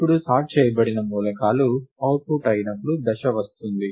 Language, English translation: Telugu, Now, comes the phase when the sorted elements are output